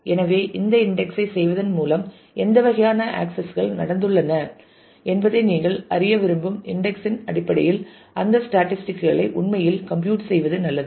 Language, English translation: Tamil, So, it is good to actually compute that statistics in terms of the index that you want to know that by doing this index what kind of accesses have happened